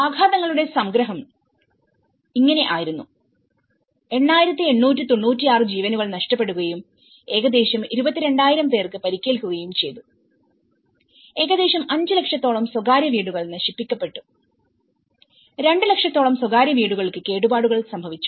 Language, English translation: Malayalam, The summary of the impacts is we talk about the 8,896 lives have been lost and almost 22,000 people have been injured and about nearly 5 lakhs private houses have been destroyed and about two lakhs private houses have been damaged